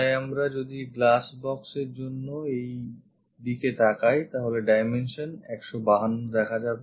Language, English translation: Bengali, So, if we are looking in this direction for the glass box, this dimension 152 will be visible